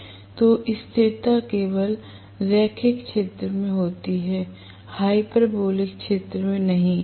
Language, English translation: Hindi, So, the stability happens only in the linear region, not in the hyperbolic region